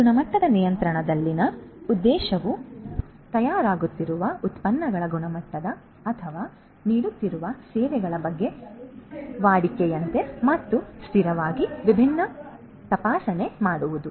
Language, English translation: Kannada, So, the objective in quality control is to routinely and consistently make different checks about the standard of the products that are being manufactured or the services that are being offered